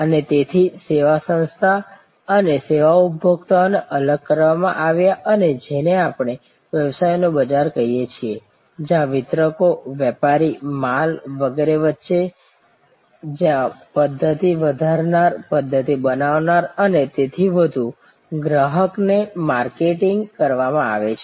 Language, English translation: Gujarati, And so service organization and service consumers were separated and the business was what we call market to the businesses, marketed to the consumer in between where distributors, dealers, stock and so on, in between there where system enhancers, system builders and so on